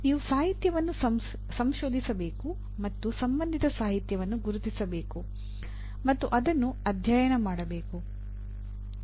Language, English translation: Kannada, You have to research the literature and identify the relevant literature and study that